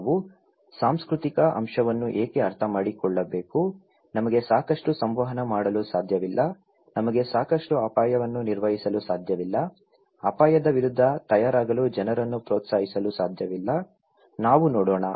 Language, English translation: Kannada, Why we need to understand the cultural aspect otherwise, we were missing, we cannot communicate enough, we cannot manage risk enough, we cannot encourage people to prepare against risk, let us look